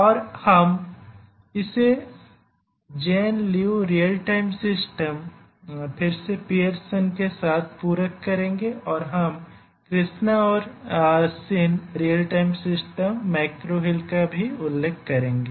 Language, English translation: Hindi, And we will supplement this with Jane Liu Real Time systems, again Pearson and then we will also refer to Krishna and Shin Real Time systems McGraw Hill